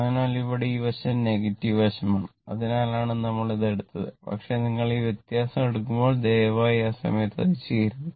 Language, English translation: Malayalam, So, here this side is negative side that is why we have taken, but when you take this difference, please do not do not do that at that time